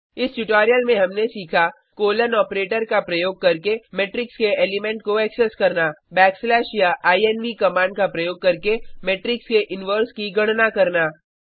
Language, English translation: Hindi, In this tutorial we have learnt To access the element of the matrix using the colon operator Calculate the inverse of a matrix using the inv command or by backslash Calculate the derterminant of matrix using det command